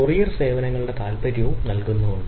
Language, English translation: Malayalam, there are parties who are courier services and type of things